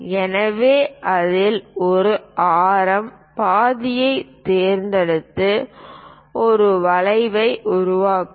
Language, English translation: Tamil, So, pick a radius half of that, make an arc